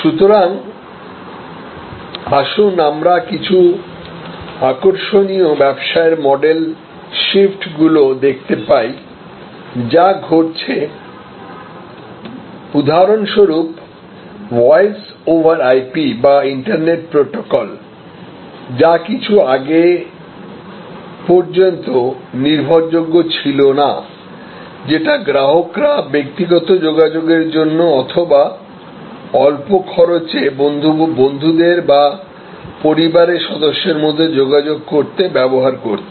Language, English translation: Bengali, So, let us look at some interesting business model shifts that are happening, take for example this voice over IP, voice over Internet Protocol which was till a little few years back was not that reliable was used by consumers for personal communication, low cost personal communication among family members between friends and so on